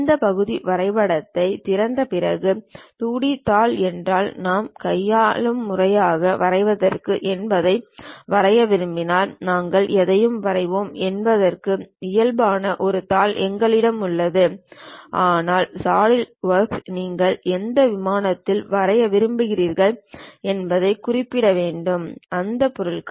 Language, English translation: Tamil, After opening this part drawing, if we want to draw anything if it is a 2D sheet what manually we draw, we have a sheet normal to that we will draw anything, but for Solidwork you have to really specify on which plane you would like to draw the things